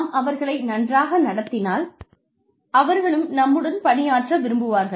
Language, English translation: Tamil, You treat them well, they want to work with you